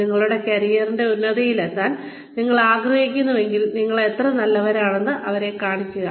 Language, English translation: Malayalam, If you really want to reach the peak of your career, show them, how good you are